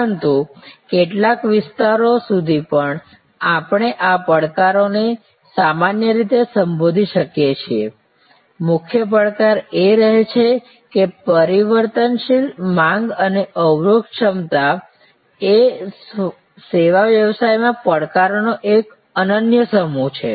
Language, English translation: Gujarati, But, even to some extend we can address these challenges in general, the key challenge remains that the variable demand and constraint capacity is an unique set of challenges in service business